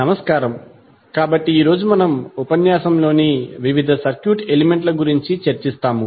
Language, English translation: Telugu, Namaskar, so today we will discussed about the various circuit elements in this lecture